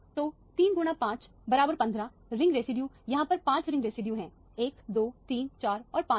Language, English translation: Hindi, So, three times 5 is 15, the ring residues there are 5 ring residues, 1, 2, 3, 4 and 5